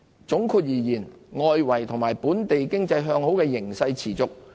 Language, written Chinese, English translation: Cantonese, 總括而言，外圍及本地經濟向好的形勢持續。, All in all the favourable trends of the domestic and external economies remain intact